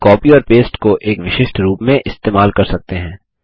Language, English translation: Hindi, We can use copy and paste in a specific format